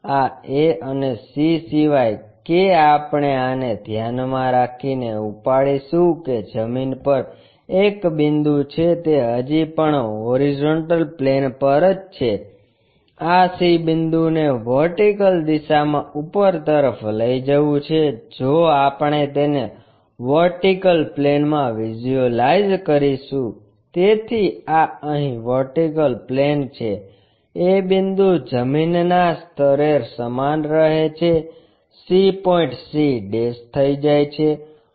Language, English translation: Gujarati, This a and c unless we lift this keeping that a point on the ground, still it is on the horizontal plane, lifting up this c point in the vertical direction which we will visualize it in the vertical plane so, this is the vertical plane here, a point is remains same at the ground level, c point goes to c'